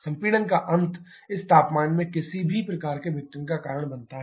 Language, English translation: Hindi, End of compression this temperature also significantly lower to cause any kind of disassociation